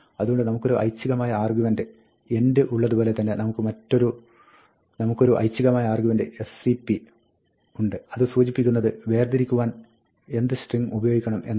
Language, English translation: Malayalam, So, just like we have the optional argument end, we have an optional argument sep, which specifies what string should be used to separate